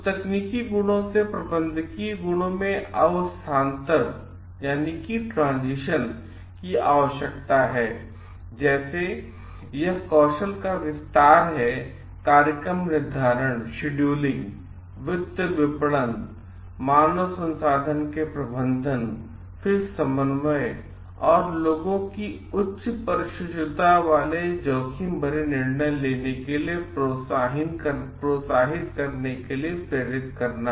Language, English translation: Hindi, Like, it an expansion of skills in like scheduling and finances, marketing managing, human resources then in coordinating and motivating people abilities to make risky decisions and with high precisions